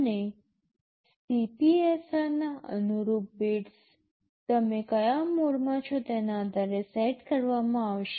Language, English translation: Gujarati, And the corresponding bits of the CPSR will be set depending on which mode you are in